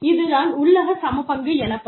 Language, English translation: Tamil, That is called internal equity